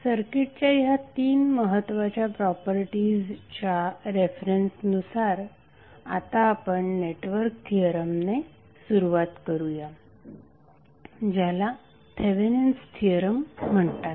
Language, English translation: Marathi, So with the reference of these three important properties of the circuit let us start the network theorem which is called as thevenins theorem